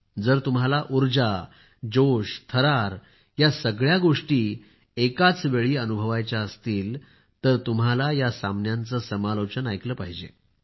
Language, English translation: Marathi, If you want energy, excitement, suspense all at once, then you should listen to the sports commentaries